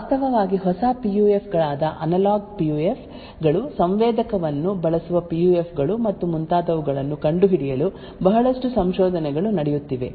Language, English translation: Kannada, There is a lot of research which is going on to find actually new PUFs such as analog PUFs, PUFs using sensor and so on